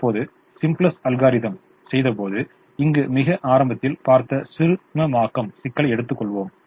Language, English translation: Tamil, now let us take the minimization problem that we saw very early here when we did the simplex algorithm